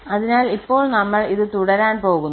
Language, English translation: Malayalam, So, now we will continue this proof